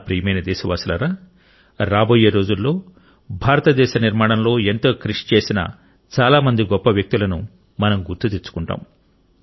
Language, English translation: Telugu, My dear countrymen, in the coming days, we countrymen will remember many great personalities who have made an indelible contribution in the making of India